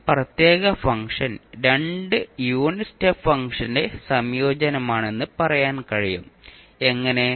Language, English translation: Malayalam, So you can say that this particular function is combination of two unit step function, how